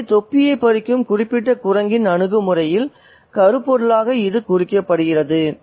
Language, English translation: Tamil, So, that's what is implied there thematically in the attitude of the particular monkey that snatches the cap